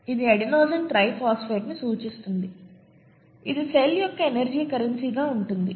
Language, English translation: Telugu, This, this stands for adenosine triphosphate, this happens to be the energy currency of the cell